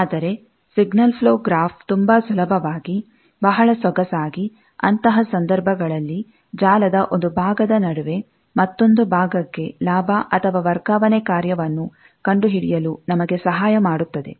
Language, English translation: Kannada, But, signal flow graph can very easily, very elegantly, help us in such cases, to find the gain, or transfer function of, between one part of network to another part